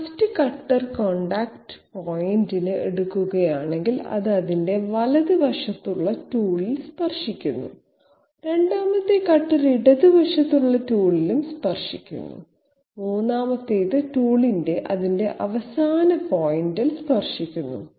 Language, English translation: Malayalam, If we take this cutter contact point, it is touching the tool on the on its right hand side, it is touching the tool on the left hand side, it is touching the tool at its end point something like that